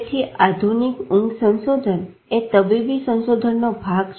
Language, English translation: Gujarati, So, modern sleep research is part clinical, part research